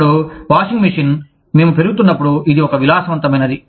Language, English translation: Telugu, Now, washing machine, when we were growing up, it was a luxury